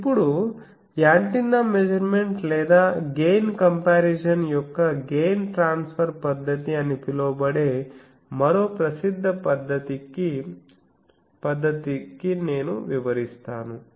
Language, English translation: Telugu, Now, I come to another more popular method is called that gain transfer method of antenna measurement or gain comparison